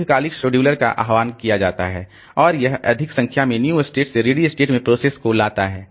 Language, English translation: Hindi, The long term scheduler is invoked and it brings more number of processes from the new state to the ready state